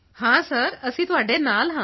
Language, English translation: Punjabi, Sir we are with you